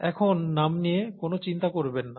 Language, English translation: Bengali, DonÕt worry about the names now